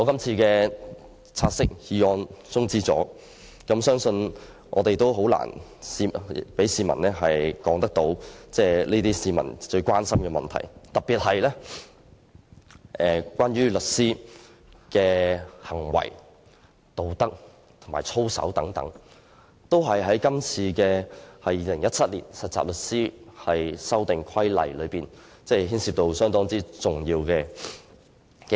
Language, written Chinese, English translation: Cantonese, 如果"察悉議案"的討論被中止待續，相信我們很難向市民解釋他們關注的問題，特別是有關律師的行為和道德操守方面，而這些都是今次這項附屬法例涉及的重要部分。, If the debate on the take - note motion is adjourned I believe that it will be very difficult for us to explain to the public issues they are concerned about particularly those involving the conduct and ethics of solicitors . All these are important issues in respect of this subsidiary legislation